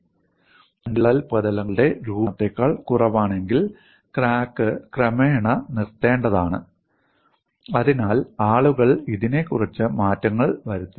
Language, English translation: Malayalam, So, if the energy availability is less than for the formation of two new cracks surfaces, then crack has to eventually come to a stop; so, for all that, people tweaked on this